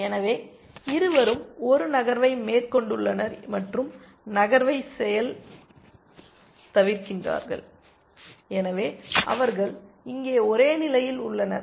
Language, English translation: Tamil, So, both have made a move and undone the move and so, they are in the same state here